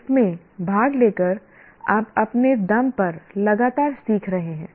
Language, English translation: Hindi, By participating in this, you are continuously learning on your own